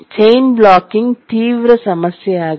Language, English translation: Kannada, So chain blocking is a severe problem